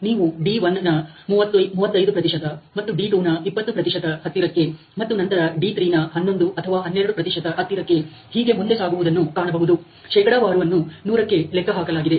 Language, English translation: Kannada, And you can see that there about closed to 35 percent of D1 and about 20 percent of D2, and then about close to 11 or 12 percent of D3 so and so forth